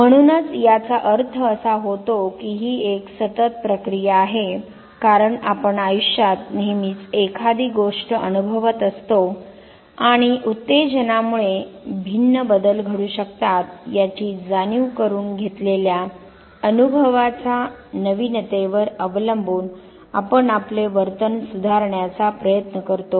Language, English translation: Marathi, So, that put primarily mean that it is a continuous process because we always experience one thing or the other in life and depending on the novelty of experience realizing the fact that the stimulus might take different turn, we do try to modify our behavior